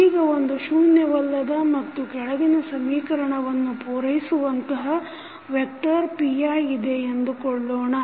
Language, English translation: Kannada, So, suppose if there is a nonzero vector say p i that satisfy the following matrix equation